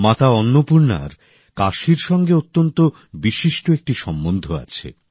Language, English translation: Bengali, Mata Annapoorna has a very special relationship with Kashi